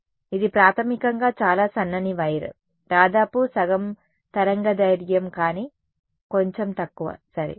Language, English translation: Telugu, So, it is basically a very thin wired almost half a wavelength, but slightly less ok